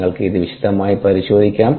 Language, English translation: Malayalam, you can go through it in detail